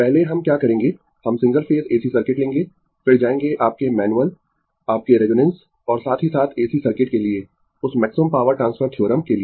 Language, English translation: Hindi, First what we will do, we will take the single phase AC circuit, then will go for your manual, your resonance and as well as that maximum power transfer theorem for AC circuit